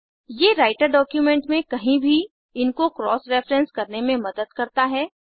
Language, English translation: Hindi, These will help to cross reference them anywhere within the Writer document